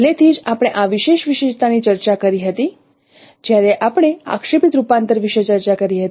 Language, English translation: Gujarati, Already we discussed this particular feature when we discussed about the projective transformation